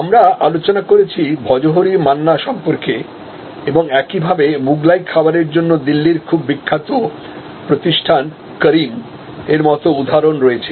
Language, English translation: Bengali, So, we discussed that Bhojohori Manna and similarly there are example likes Karim’s, a very famous establishment in Delhi for Mughlai food